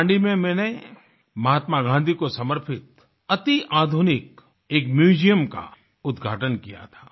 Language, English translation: Hindi, There I'd inaugurated a state of the art museum dedicated to Mahatma Gandhi